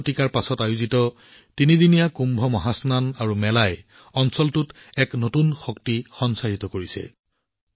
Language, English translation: Assamese, Seven centuries later, the threeday Kumbh Mahasnan and the fair have infused a new energy into the region